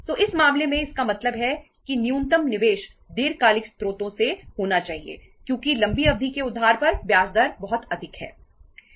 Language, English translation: Hindi, So in this case, but means the minimum investment should be from the long term sources because the interest rate is very high on the long term borrowings